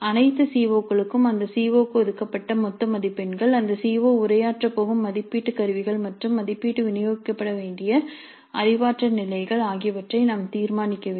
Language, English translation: Tamil, For all CEOs we must decide the marks, total marks allocated to that COO, the assessment instruments in which that CO is going to be addressed and the cognitive levels over which the assessment is to be distributed